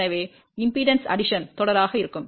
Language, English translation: Tamil, So, impedance addition will be series